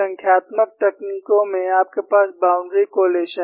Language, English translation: Hindi, In numerical techniques, you have, what is known as boundary collocation